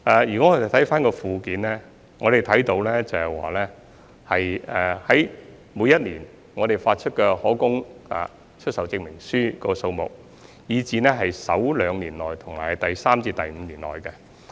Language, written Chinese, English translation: Cantonese, 如果看回附件，我們可以看到每年發出的可供出售證明書數目，以至在首兩年內和第三至五年內的情況。, We can refer to the Annex for the number of CAS we issued each year as well as the CAS issued to flats within the first two years and between the third to the fifth year from first assignment